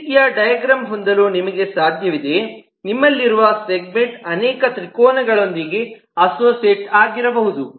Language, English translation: Kannada, now it is possible that you have a diagram like this: you have a diagram where you have so segment may be associated with multiple triangles